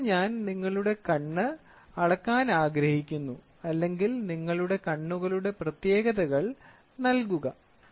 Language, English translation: Malayalam, Now I want to measure your eye or let me tell you please give the specification for your eyes